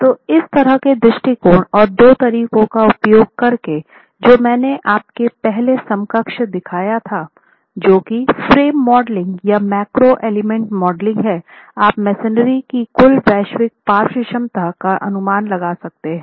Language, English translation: Hindi, So, using such approaches and the two methods that I showed you earlier, the equivalent frame modeling or the macro element modeling approaches which are computer based calculations, you arrive at the total, the global lateral capacity estimate of the masonry building